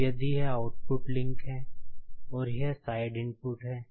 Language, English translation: Hindi, Now, if this is the output link and this side is input